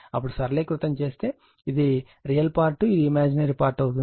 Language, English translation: Telugu, Then you simplify you will get this is the real part and this is the imaginary part